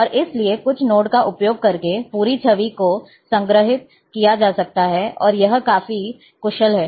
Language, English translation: Hindi, And therefore, the entire image, can be stored, by using certain codes, And it is quite efficient